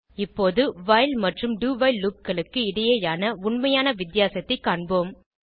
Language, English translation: Tamil, Now, let us see the actual difference between while and do while loops